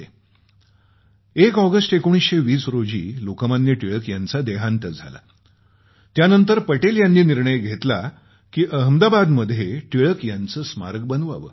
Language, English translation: Marathi, When on August 1 1920, Lok Manya Tilakji passed away, Patel ji had decided then itself that he would build his statue in Ahmedabad